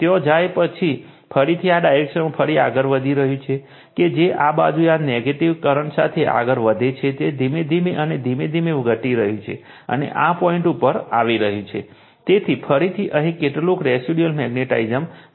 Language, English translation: Gujarati, And again further you are moving again in this direction, that again you are you are what you call go with your this negative current this side, you are slowly and slowly you are decreasing and coming to this point, so some residual magnetism again will be here